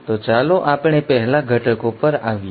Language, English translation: Gujarati, So let us come to the ingredients first